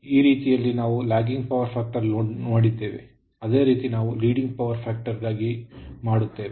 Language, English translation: Kannada, So the way, we have done Lagging Power Factor Load, same way we will do it your Leading Power Factor